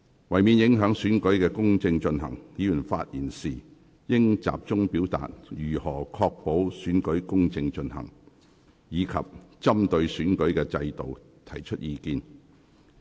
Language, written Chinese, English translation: Cantonese, 為免影響行政長官選舉公正進行，議員在發言時應集中表達如何確保選舉公正進行，以及針對選舉制度提出意見。, To avoid affecting the fair conduct of the Chief Executive Election Members should focus their speeches on how to ensure a fair conduct of the Election and express their views on the election system